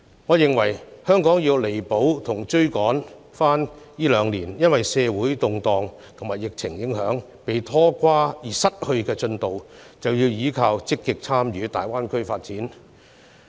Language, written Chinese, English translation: Cantonese, 我認為，香港若想要彌補和追回這兩年因社會動盪和疫情影響而失去的進度，便得積極參與大灣區的發展。, In my opinion if Hong Kong wants to make up for and recoup the progress lost in the past two years due to social unrest and the pandemic it must actively participate in the development of the Greater Bay Area